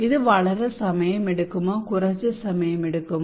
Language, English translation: Malayalam, Does it take a long time, does it take short time okay